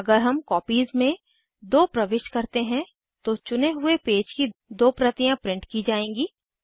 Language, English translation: Hindi, If we change Copies to 2, then 2 copies of the selected pages will be printed